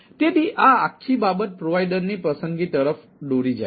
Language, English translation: Gujarati, so this whole thing lead to provider ah selection